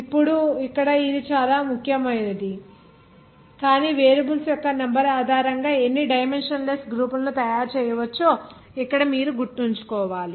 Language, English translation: Telugu, Now this very important here but one important thing you have to remember here that how many dimensionless groups can be made based on your number of variables